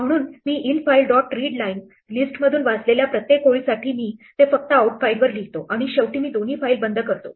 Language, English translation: Marathi, So, for each line that I read from the list infile dot readlines I just write it to outfile and finally, I close both the files